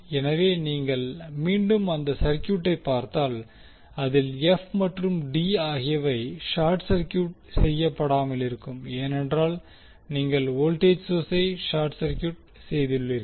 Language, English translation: Tamil, So, if you go back to the circuit f and d are not short circuited because you have put voltage source as a short circuit